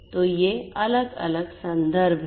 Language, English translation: Hindi, So, these are these different references